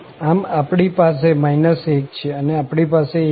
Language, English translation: Gujarati, So, we have minus 1 and we have plus 1